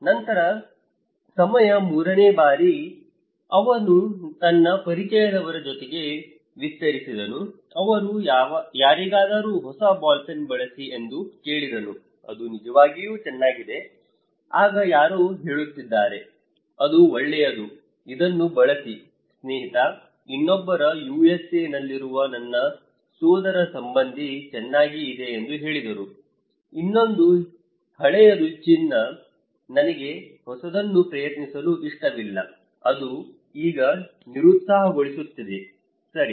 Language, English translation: Kannada, Then in time 3, he expanded his network okay, he asked somebody they said use new ball pen, it is really good, then someone is saying that okay, it is damn good use it buddy, other one is saying my cousin in USA said good so, please, another one is old is gold, I do not like to try the new so, it is now discouraging okay